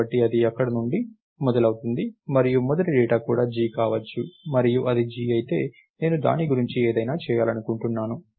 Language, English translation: Telugu, So, it starts from there and the very first data itself could be g and if it is g, I want to do something about it